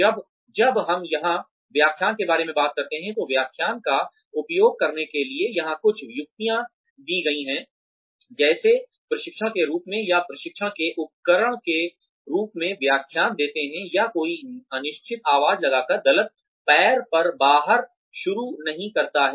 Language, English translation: Hindi, When, we talk about lectures some tips here, for using lectures, as on the job training, or lectures as a tool of training, or one is do not start out on the wrong foot by sounding unsure